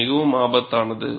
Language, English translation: Tamil, It is very, very dangerous